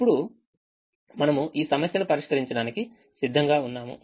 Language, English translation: Telugu, now we are ready to solve this problem